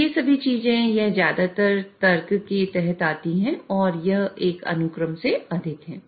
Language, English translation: Hindi, So, all these things, this mostly falls under logic part and this is more of a sequence